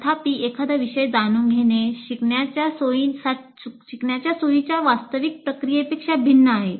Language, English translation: Marathi, Knowing the subject is different from the actual process of facilitating learning